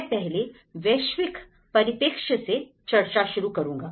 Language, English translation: Hindi, I will start the discussion from a global perspective